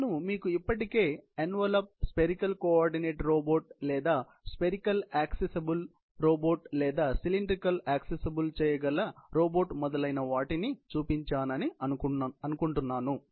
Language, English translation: Telugu, I think we had already shown you the envelope, the dotted envelope around spherical coordinate robot or spherical accessible robot or a cylindrically accessible robot, etc